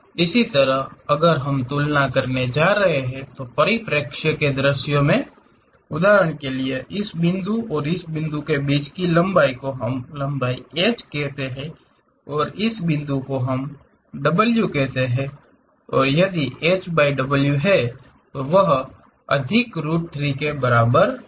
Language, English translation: Hindi, Similarly in the perspective views if we are going to compare; for example, this point to this point let us call length h, and this point to this point let us call w and if h by w is equal to 1 over root 3